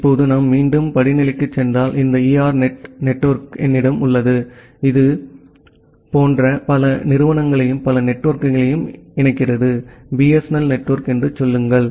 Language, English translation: Tamil, Now if we again go up to the hierarchy I have this ERNET network which interconnects multiple such institutes and several other networks; say, the BSNL network